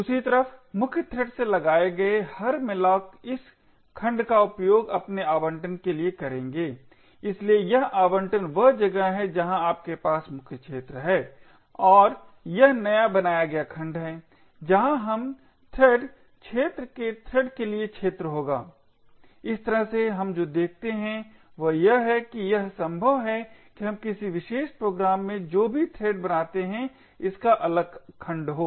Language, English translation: Hindi, On the other hand every malloc that is invoked from the main thread would use this segment for its allocation, so this allocation is where you have the main arena and this newly created segment is where we would have arena for the thread of the thread arena, so in this way what we see is that it is likely that every thread that we create in a particular program gets a separate segment